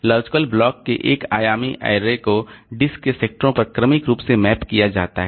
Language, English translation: Hindi, The one dimensional array of logical blocks is mapped onto the sectors of the disk sequentially